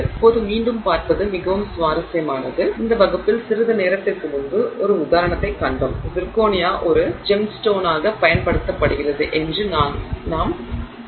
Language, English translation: Tamil, Now again it is very interesting to see that we saw an example a short while ago in this class where we were saying that zirconia is used as a gemstone